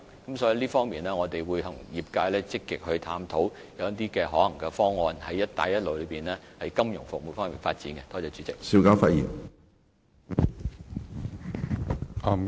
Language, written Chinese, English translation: Cantonese, 因此，關於這方面，我們會與業界積極探討一些可行方案，向"一帶一路"國家及地區推廣香港的金融服務。, Therefore in this respect we will proactively explore some feasible options with the industries to promote Hong Kong financial services to the Belt and Road countries and regions